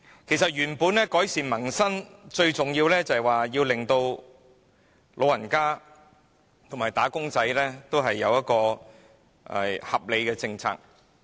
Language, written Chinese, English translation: Cantonese, 其實想改善民生，最重要的是實行對老人家和"打工仔"有保障的合理政策。, In fact to improve peoples livelihood it is the most imperative to implement reasonable policies that protect elderly persons and workers